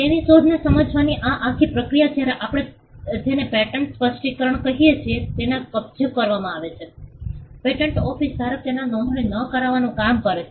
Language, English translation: Gujarati, So, this entire process of explaining the invention when it is captured in what we call a patent specification, the patent office does the job of not just registering it